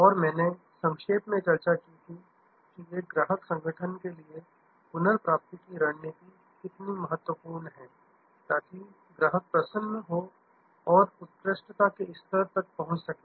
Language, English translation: Hindi, And I had briefly discussed, that how important the recovery strategy is for a services organization to attend the level of customer delight and excellence